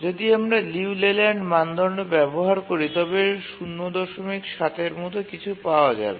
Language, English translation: Bengali, And if you use the LELAND criterion, you will get something like 0